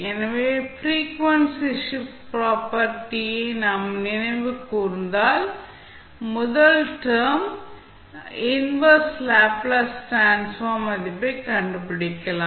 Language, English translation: Tamil, So, if you recollect the frequency shift property, you can simply find out the value of inverse Laplace transform of first term